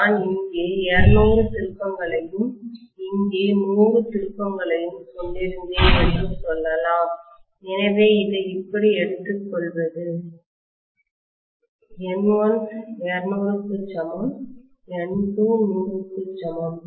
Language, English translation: Tamil, Let us say maybe I had 200 turns here and 100 turns here, so N1 equal to 200, N2 equal to 100 and just taking it like this